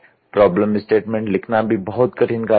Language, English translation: Hindi, Writing the problem statement is also a very difficult task